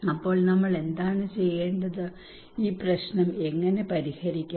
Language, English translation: Malayalam, So then what we need to do what, how we can solve this problem